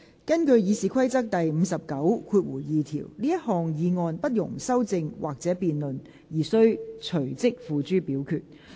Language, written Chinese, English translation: Cantonese, 根據《議事規則》第592條，這項議案不容修正或辯論而須隨即付諸表決。, In accordance with Rule 592 of the Rules of Procedure the motion shall be voted on forthwith without amendment or debate